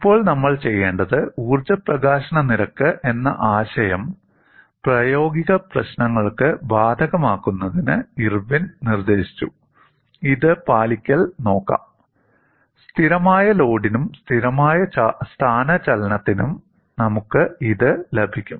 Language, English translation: Malayalam, Now, what we want to do is in order to apply the concept of energy release rate to practical problems, Irwin suggests that, let us look at compliance; we will get this for constant load as well as constant displacement